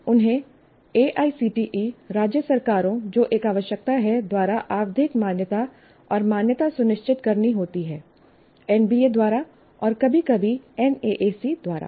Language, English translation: Hindi, Have to ensure periodic recognition by AICTE, state governments, which is a requirement and accreditation by NBA and sometimes by NAC